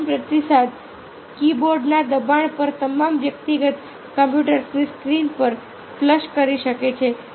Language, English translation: Gujarati, the final response can flash on the screen of all personal computer at the push of the keyboard